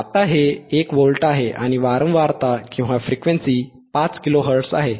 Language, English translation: Marathi, Now, this is at 1 volt, right we are apply 1 volt, and frequency is 5 kilo hertz, frequency is 5 kilo hertz